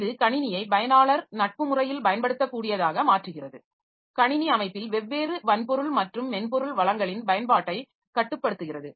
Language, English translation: Tamil, It makes the system usable in an user friendly manner, controls usage of different hardware and software resources in a computer system